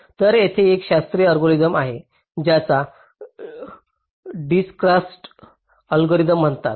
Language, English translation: Marathi, so there is a classical algorithm called dijkstras algorithm